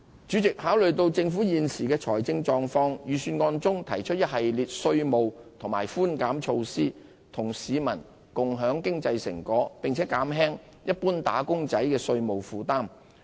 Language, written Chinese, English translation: Cantonese, 主席，考慮到政府現時的財政狀況，預算案中提出一系列稅務和寬減措施，與市民共享經濟成果，並減輕一般"打工仔"的稅務負擔。, President in light of the current financial position of the Government the Budget proposed an array of tax relief and concessionary measures to share the fruits of our economic success with the community and alleviate the tax burden of wage earners in general